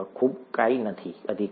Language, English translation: Gujarati, Pretty much nothing, right